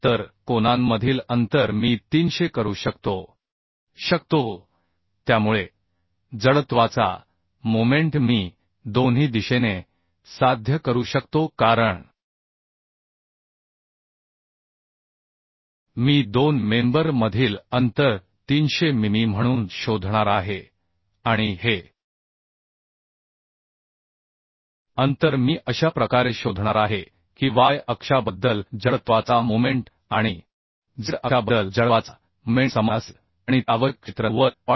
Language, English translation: Marathi, 72 millimetre that means I can make 300 spacing right So spacing between the angles I can make 300 so that the required amount of moment of inertia I can achieve in both the direction because I am going to find out the spacing between two members as 300 mm and this spacing I am going to find out in such a way that the moment of inertia about Y axis and moment of inertia about Z axis will be equal and that will be the required area that is 90